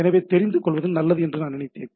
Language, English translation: Tamil, So, it is I thought that it would be good to know